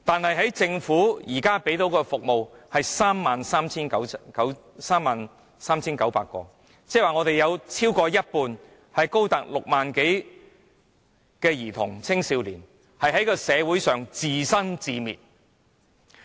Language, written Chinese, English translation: Cantonese, 然而，政府提供的服務名額卻只有 33,900 個，即是說有過半數兒童和青少年須在社會上自生自滅。, Nonetheless only 33 900 quotas are available which means that more than half of the children and adolescents are left to run their own course in the community